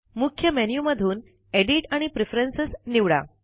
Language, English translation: Marathi, From the Main menu, select Edit and Preferences